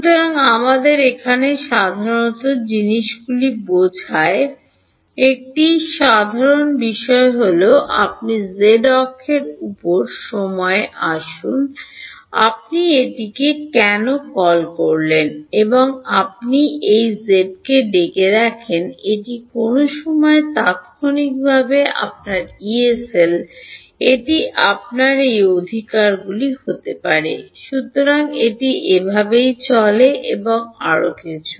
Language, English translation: Bengali, So, one common we have understanding things over here is you put time on the z axis, you call this let us see why and you call this x right this is your Yee cell at some time instant right, this can be your delta t can be this right